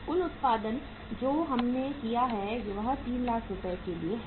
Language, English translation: Hindi, The total production we have gone is for worth Rs